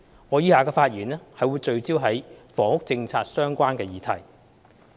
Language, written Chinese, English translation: Cantonese, 我以下的發言則會聚焦於與房屋政策相關的議題。, My speech as follows will focus on issues relating to the housing policy